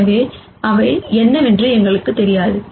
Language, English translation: Tamil, So, we do not know what those are